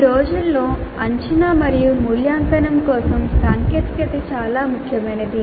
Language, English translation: Telugu, Technology for assessment and evaluation has become very important these days